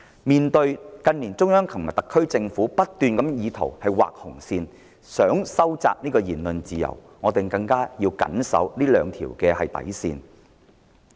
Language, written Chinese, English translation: Cantonese, 面對近年中央和特區政府不斷畫紅線意圖收窄言論自由，我們更要緊守這兩條底線。, In view of the fact that the Central Government and the SAR Government have drawn red lines time and again to tighten freedom of speech we must be more vigilant in safeguarding those two bottom lines